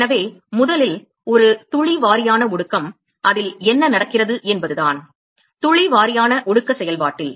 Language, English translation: Tamil, So, the first one drop wise condensation what happens is that; in the drop wise condensation process